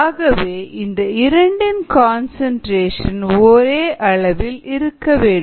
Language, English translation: Tamil, ok, therefore the concentrations of these two would be the same